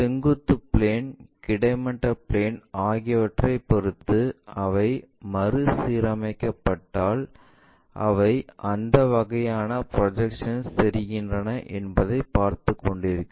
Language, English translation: Tamil, If they are reoriented with respect to the vertical plane, horizontal plane what kind of projections do they make